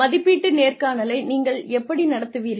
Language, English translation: Tamil, How do you conduct the appraisal interview